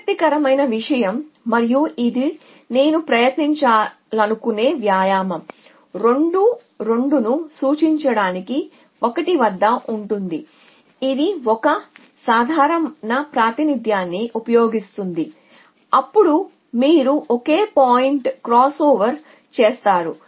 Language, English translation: Telugu, The interesting thing and this is the exercise it I want to try would is at 1 to represent 2 2 us using an ordinary representation then you just to a single point crossover